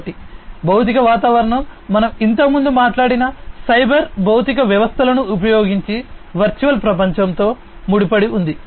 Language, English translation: Telugu, So, the physical environment is linked with the virtual world using cyber physical systems which we talked about earlier